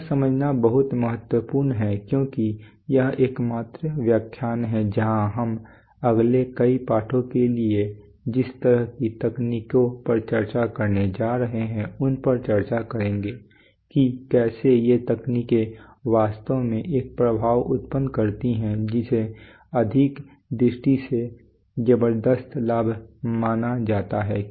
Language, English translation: Hindi, This is very important to understand because this is the only lecture where we will where we will discuss the kind of technologies that we are going to discuss for the next several lessons, how these technologies actually produce an effect which is, which is considered a tremendous advantage from the point of view of economy